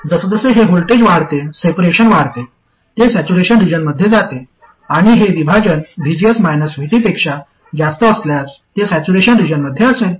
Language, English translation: Marathi, As this voltage, as this separation increases, it goes towards saturation region, and if the separation exceeds VGS minus VT, it will be in saturation region